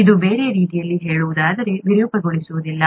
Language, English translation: Kannada, It does not distort, in other words